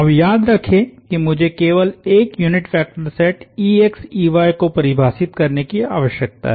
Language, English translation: Hindi, Now, remember I just need to define a unit vector set ex ey